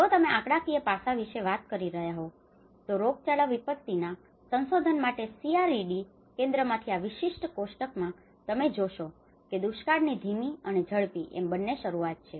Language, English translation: Gujarati, If you are talking about the statistical aspect, if you look at this particular table from the CRED Center for research in Epidemiology Disasters, you will see that the famines, these are the slow onset and the rapid onset